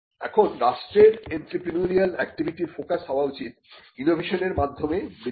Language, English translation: Bengali, Now, the focus of the entrepreneurial activity of the state should be on innovation led growth